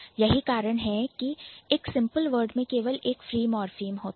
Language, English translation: Hindi, So, a simple word would have only one morphem